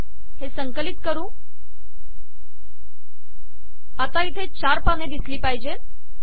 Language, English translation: Marathi, Let us compile this, now you see that 4 pages are there